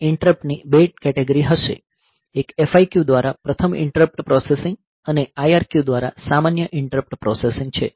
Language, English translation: Gujarati, So, it is a ARM processor it will have two categories of interrupt one is first interrupt processing by FIQ, and normal interrupt processing by IRQ